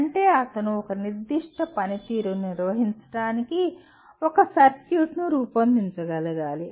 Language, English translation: Telugu, That means he should be able to design a circuit to perform a certain function